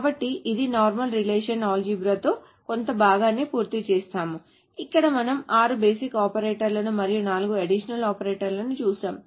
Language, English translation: Telugu, So this finishes part of this normal relational algebra where we have seen six basic operators plus four additional operators